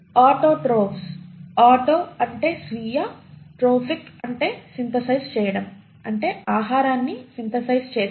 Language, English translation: Telugu, Autotrophs, “auto” means self, “Trophic” means synthesising, food synthesising